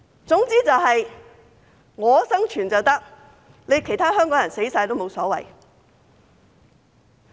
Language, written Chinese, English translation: Cantonese, 總之他們生存便可以，其他香港人死光也無所謂。, As long as they survive it does not matter if all other Hong Kong people die